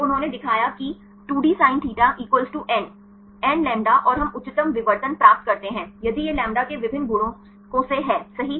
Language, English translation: Hindi, So, 2d sinθ = n, nλ and we get the highest diffractions only if this integral multiples of lambda right